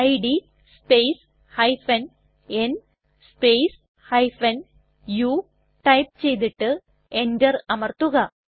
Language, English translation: Malayalam, Let us type the command, id space u and press enter